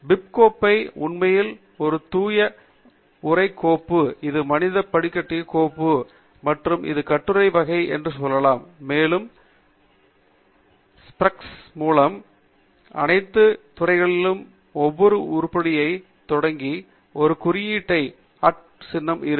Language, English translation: Tamil, The bib file is actually a pure text file, that is human readable file, and it tells you what is the type of the article, and what are all the various fields that are bounded by the braces, and every new item is starting with an @ symbol followed by an article